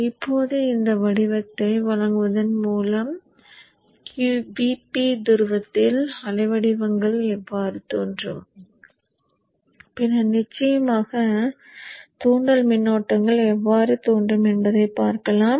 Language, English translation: Tamil, Now given this pattern let us see how the waveforms will appear at the VP the pole and then of course the inductor currents